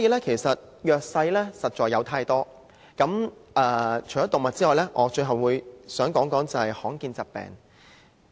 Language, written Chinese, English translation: Cantonese, 其實弱勢的群體實在有太多，除動物之外，最後我想談談罕見疾病。, There are indeed too many underprivileged groups . Other than animals I wish to talk about rare diseases in closing